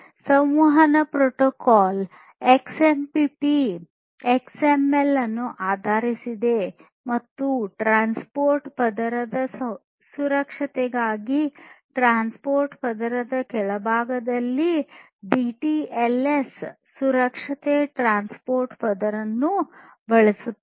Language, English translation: Kannada, So, the communication protocol XMPP is based on XML and it uses DTLS secure transport layer at the bottom in the transport layer for transport layer security